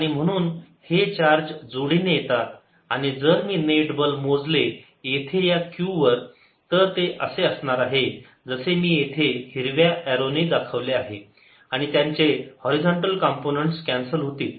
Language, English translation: Marathi, and if i calculate the net force here on q is going to be like this, as shown by green arrows, and their horizontal component will cancel